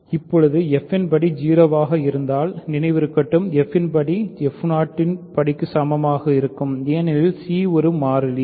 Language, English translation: Tamil, Now if degree f is 0 remember degree f will be equal to degree f 0 because c is a constant